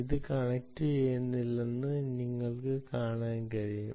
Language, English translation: Malayalam, how does it not connecting to the server